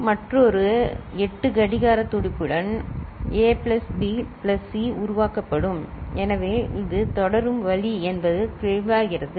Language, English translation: Tamil, So, with another 8 clock pulse, A plus B plus C will be generated so, this is the way it will go on, is it clear